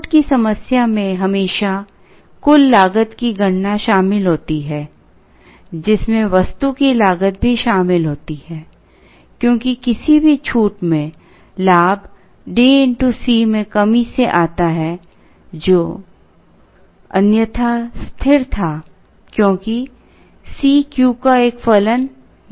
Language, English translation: Hindi, The discount problem always involves computation of a total cost, which also includes the cost of the item, because the gain in any discount comes from the reduction in D into C, which was otherwise a constant because C was not a function of Q